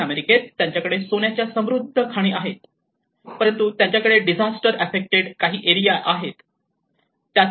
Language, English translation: Marathi, In South America, they have rich gold mines, but they have again some disaster affected areas